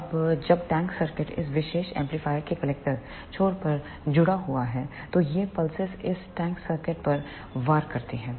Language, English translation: Hindi, Now, when the tank circuit is connected at the collector end of this particular amplifier then these pulses strike this tank circuit